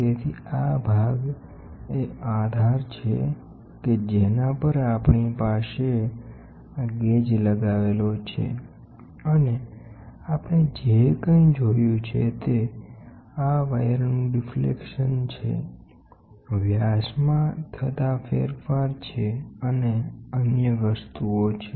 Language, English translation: Gujarati, So, this portion is the base on which we have this gauge going and whatever we have seeing is the deflection of this wires, the diameter change in diameter and other things